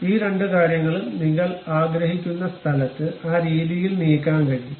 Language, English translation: Malayalam, These two things, you can really move it whatever the desired location you would like to have in that way